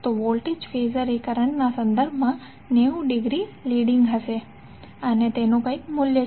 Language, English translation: Gujarati, So the voltage Phasor would be 90 degree leading with respect to current and it has some value